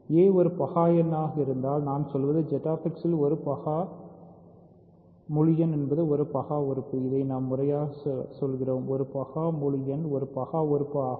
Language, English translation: Tamil, If a prime in; so, what I will be saying is a prime integer in Z X is a prime element that is what we are saying right, a prime integer is a prime element